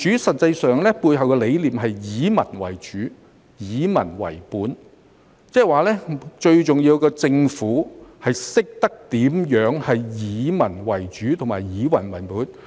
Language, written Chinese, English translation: Cantonese, 實際上，民主背後的理念是以民為主，以民為本，即最重要的是政府懂得如何以民為主和以民為本。, In fact the concept behind democracy is to be people - oriented and people - based . That is to say it is the most important for the Government to understand how to be people - oriented and people - based